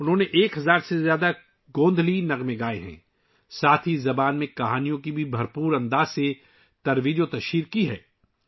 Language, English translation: Urdu, He has sung more than 1000 Gondhali songs and has also widely propagated stories in this language